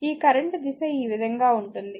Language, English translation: Telugu, And this your current direction is this way